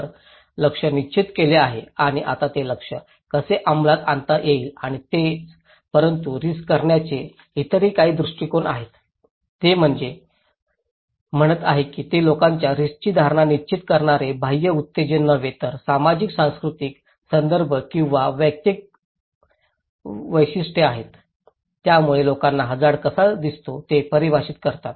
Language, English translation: Marathi, So, target is set and now how to implement that target and thatís it but there are some other perspective of risk, they are saying that it is not that external stimulus that determines people's risk perceptions but it is the socio cultural context or individual characteristics that define the way people perceive risk